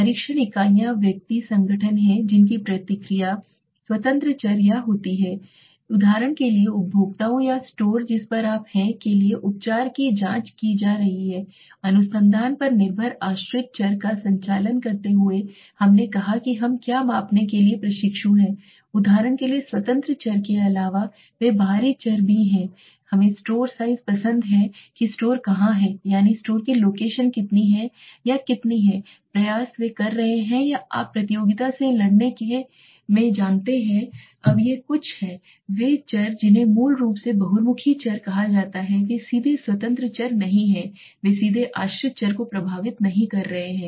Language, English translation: Hindi, Test units are individuals organization whose response the independent variables or treatments is being examined for example the consumers or the store on which you are conducting the research okay dependent variable we said what we are interning to measure what are those extraneous variable are those variables besides the independent variables for example we like store size where is the store that means what is the location of the store or how much of the effort are they putting on or you know into fight the competition now these are some of the variables that are basically called extraneous variable they are not directly independent variables they are not directly effecting the dependent variable